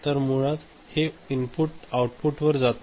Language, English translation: Marathi, So, basically this input is not going to the output